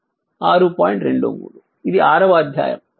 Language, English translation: Telugu, 23 this is chapter 6